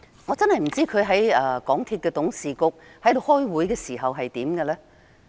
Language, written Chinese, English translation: Cantonese, 我真的不知道局長在港鐵公司董事局開會時是怎樣的呢？, I really have no idea how the Secretary behaves at the board meetings of MTRCL